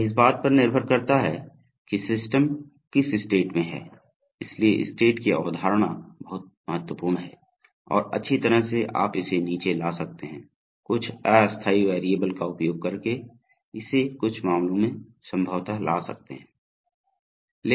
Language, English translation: Hindi, It depends on which state the system is in, so the concept of state is very important and well you can you can bring it down in, bring it possibly in certain cases using some temporary variables